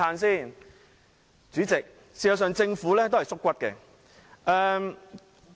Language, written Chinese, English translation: Cantonese, 事實上，政府是"縮骨"的。, In fact the Government does not have the backbone to take up responsibility